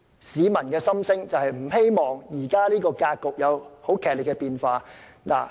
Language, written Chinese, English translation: Cantonese, 市民並不希望這種格局出現劇烈變化。, The public do not welcome a drastic change to the status quo